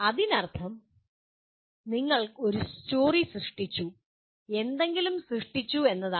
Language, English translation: Malayalam, That means you have created a story, created something